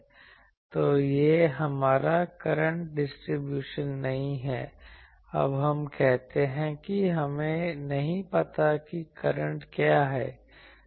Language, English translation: Hindi, So, this is not our current distribution we, now say that we do not know what is the current